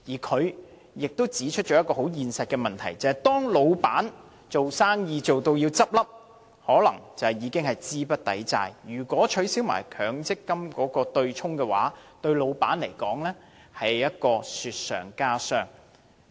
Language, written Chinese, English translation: Cantonese, 他亦指出一個很現實的問題，就是當公司將要倒閉，可能已經資不抵債，如果取消強積金對沖機制，對僱主更是雪上加霜。, He has also pointed out a realistic issue that is if the company is about to close down possibly already insolvent the abolition of the MPF offsetting mechanism will add hardship to the employers demise